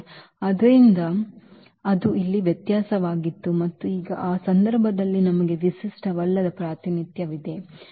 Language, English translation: Kannada, So, that was the difference here and now in this case we have a non unique representation